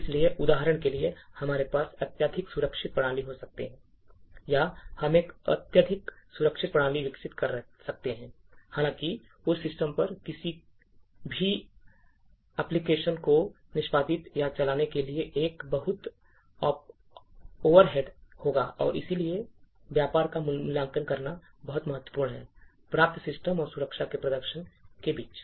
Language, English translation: Hindi, So, for example, we could have highly secure system, or we could develop a highly secure system, however, to execute or run any application on that system would be a huge overhead and therefore it is very important to evaluate the trade off obtain between performance of the system and the security achieved